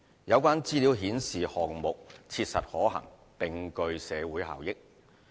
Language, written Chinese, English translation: Cantonese, 有關資料顯示項目切實可行，並具社會效益。, The information provided shows that the project is viable and can generate social benefits